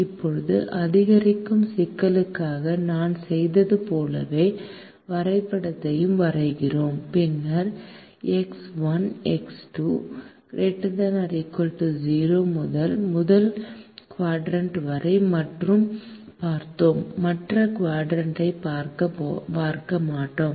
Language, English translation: Tamil, we draw the graph, as we did for the maximization problem, and then, as since x one and x two are greater than or equal to zero, we will look at only the first quadrant